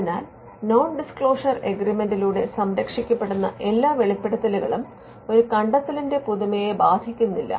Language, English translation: Malayalam, So, all disclosures that come through a non disclosure agreement are protected and it does not affect the novelty of an invention